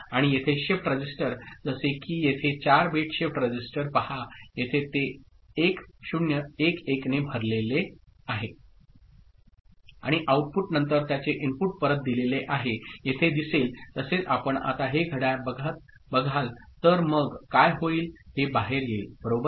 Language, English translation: Marathi, And a shift register, like a 4 bit shift register over here see it is loaded with 1 0 1 1, initially and after the output of it is fed back to the input of it the way you see here and if you now clock it, then what will happen this one will go out right